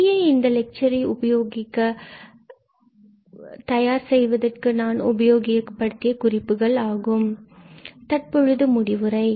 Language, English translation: Tamil, So, these are the references we have used now for preparing this lecture